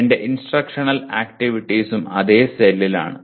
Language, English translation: Malayalam, And then my instructional activities also are in the same cell